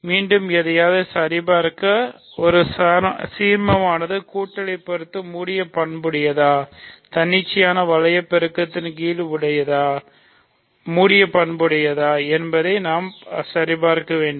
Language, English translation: Tamil, So, again to check something is an ideal, we have to check that it is closed under addition, closed under arbitrary ring multiplication